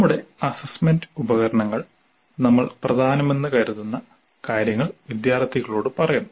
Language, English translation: Malayalam, Our assessment tools tell the students what we consider to be important